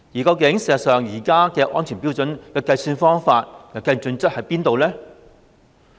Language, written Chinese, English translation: Cantonese, 實際上，現時安全標準的計算方法有何準則呢？, In fact what are the criteria for devising the present safety standard?